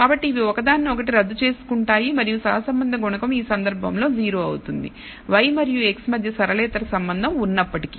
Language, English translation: Telugu, So, these will cancel each other out exactly and will turn out that the correlation coefficient in this case is 0 although there is a non linear relationship between y and x